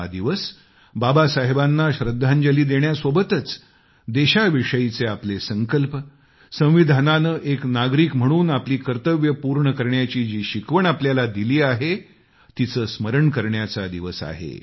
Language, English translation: Marathi, Besides paying our homage to Baba Saheb, this day is also an occasion to reaffirm our resolve to the country and abiding by the duties, assigned to us by the Constitution as an individual